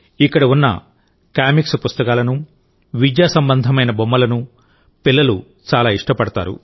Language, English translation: Telugu, Whether it is comic books or educational toys present here, children are very fond of them